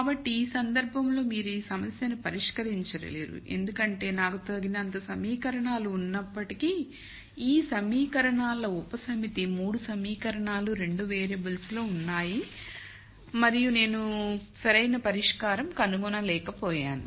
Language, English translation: Telugu, So, in this case you cannot solve this problem it is infeasible because though I have enough equations a subset of these equations 3 equations are in 2 variables and I cannot nd a valid solution